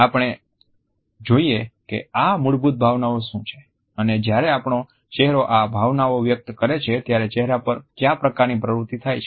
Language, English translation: Gujarati, Let’s look at what are these basic emotions and what type of muscular activity takes place when our face expresses them